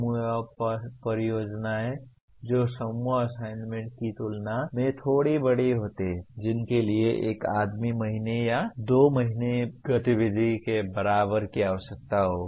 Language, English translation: Hindi, Group projects which is slightly bigger than group assignments which will require maybe equivalent of one man month or two man month activity